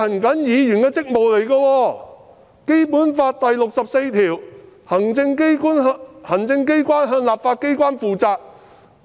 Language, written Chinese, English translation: Cantonese, 《基本法》第六十四條訂明行政機關向立法機關負責。, Article 64 of the Basic Law provides that the executive is accountable to the legislature